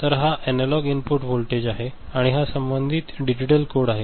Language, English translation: Marathi, So, this is the analog input voltage, and this is the corresponding digital code ok